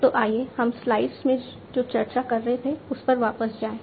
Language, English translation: Hindi, So, let us just go back to what we were discussing in the slides